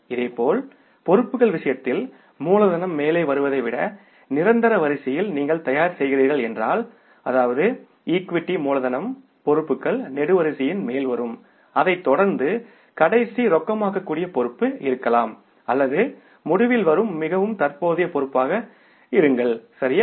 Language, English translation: Tamil, Similarly in case of the liabilities, if you are preparing in the order of permanence then the capital will come on the top, that is the equity capital will come on the top of the liabilities column and followed by the last most liquid liability or maybe the most current liability that will come in the end